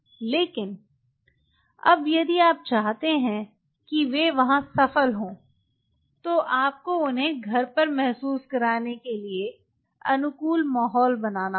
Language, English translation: Hindi, but now, if you want them to succeed there, you have to create a conducive environment for them to feel at home